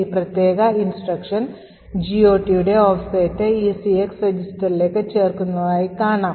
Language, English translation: Malayalam, More details we see that this particular instruction adds the offset of the GOT table to the ECX register